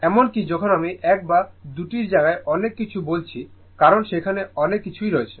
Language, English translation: Bengali, Even when am telling with many things 1 or 2 places because, so, many things are there